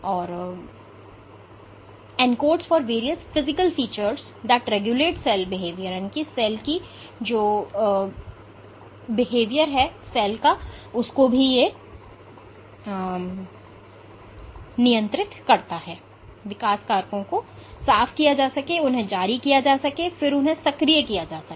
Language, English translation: Hindi, So, you need signals by other cells to actually cleave the growth factors and release them and then activate them